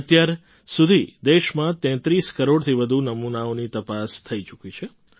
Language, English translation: Gujarati, So far, more than 33 crore samples have been tested in the country